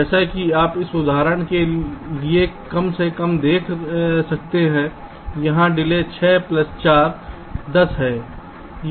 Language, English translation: Hindi, as you can see, for this example at least, the delay here is six plus four, twelve